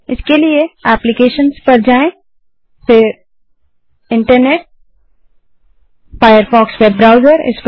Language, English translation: Hindi, For that go to applications gt Internet gt Firefox web Browser.Click on this